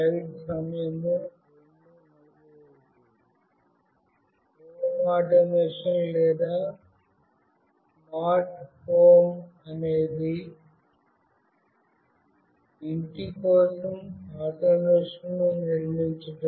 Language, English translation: Telugu, Home automation or smart home is about building automation for a home